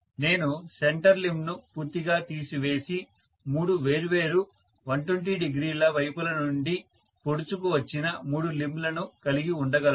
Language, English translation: Telugu, I could have removed the center limb completely and then I could have said let me have three limbs protruding from three different 120 degree side